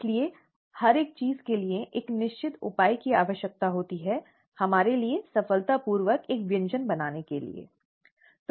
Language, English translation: Hindi, Therefore every single thing needs to have a certain measure associated with it for us to successfully make a dish, okay